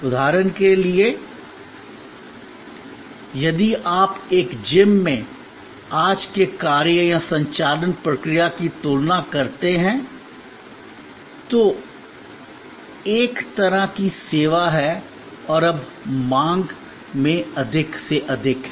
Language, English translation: Hindi, For example, if you compare today's function in a gym or operational procedure in a gym which is a kind of a service and now more and more in demand